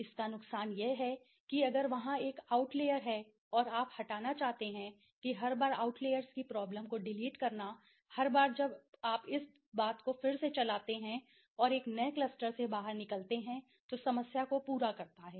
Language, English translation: Hindi, The disadvantage is that if there is an out layer and you want to delete that each time deleting the problem observation of the out layers cravats a problem to the entire each time you have to run the thing again and fond out a new cluster right